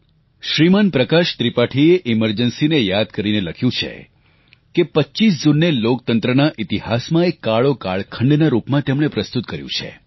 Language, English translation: Gujarati, Shri Prakash Tripathi reminiscing about the Emergency, has written, presenting 25thof June as a Dark period in the history of Democracy